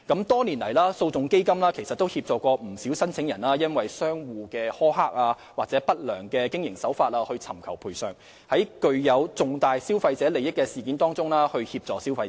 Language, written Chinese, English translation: Cantonese, 多年來，基金曾協助不少申請人就商戶的苛刻或不良經營手法索償，並在具有重大消費者利益的事件中協助消費者。, Over the years the Fund has assisted many applicants in claiming compensation for harsh or unscrupulous practices of shops and provided assistance to consumers in incidents involving significant consumer interest